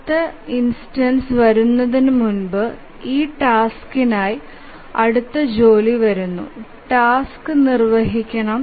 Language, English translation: Malayalam, So, before the next instance, next job arrives for this task, the task must execute